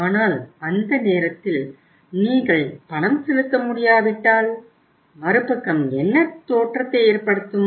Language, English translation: Tamil, But you see that if you are not able to make the payment at that time when it is due to be made what impression the other side will carry